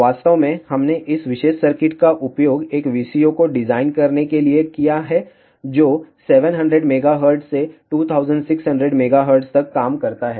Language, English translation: Hindi, In fact, we have used this particular circuit to design a VCO which works from 700 megahertz till 2600 megahertz